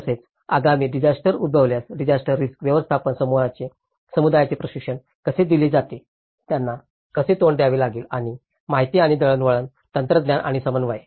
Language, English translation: Marathi, Similarly, how the communities are trained with the disaster risk management in the event of the upcoming disasters, how they have to face and the information, communication technology and coordination